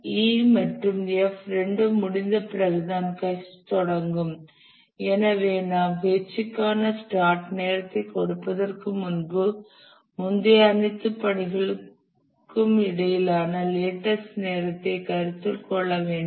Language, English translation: Tamil, H will start only after E and F both complete and therefore we have to consider the lattice time between all the preceding tasks to set the start time for H